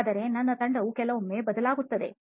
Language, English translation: Kannada, But my strategy changes sometimes